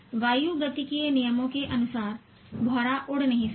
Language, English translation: Hindi, According to aerodynamic loss, the bumble bee cannot fly